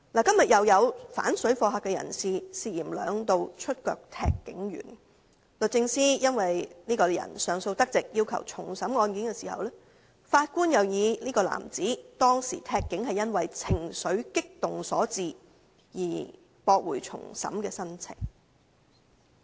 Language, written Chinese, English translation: Cantonese, 今天又有反水貨客人士涉嫌兩度腳踢警員，律政司因這人上訴得直而要求重審案件，但法官認為當時這名男子踢警是因為情緒激動所致，故此駁回重審的申請。, Today there is another case . Someone who opposes parallel traders was suspected of kicking a police officer twice . Since this persons appeal was allowed the Department of Justice DoJ requested a retrial but the Judge held that this man kicked the police officer because he was agitated at that time and thus dismissed the application for retrial